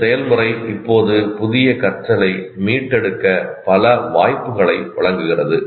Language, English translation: Tamil, This process now gives multiple opportunities to retrieve new learning